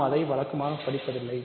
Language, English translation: Tamil, So, we usually do not study that